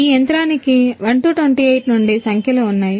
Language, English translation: Telugu, This machine has numbers from 1 28